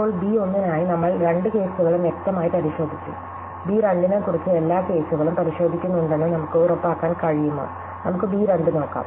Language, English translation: Malayalam, Now, for b 1 we have clearly checked both cases explicitly, what about b 2, can we be sure that we are checking all cases are b 2